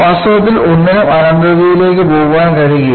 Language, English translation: Malayalam, In reality, nothing can go into infinity